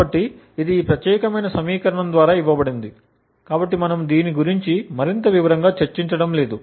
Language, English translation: Telugu, So, this is given by this particular equation, so we will not go more into details about this